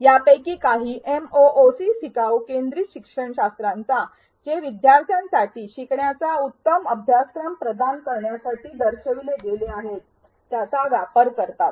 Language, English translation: Marathi, Some of these MOOCs utilize learner centric pedagogies which have been shown to provide a better learning experience for learners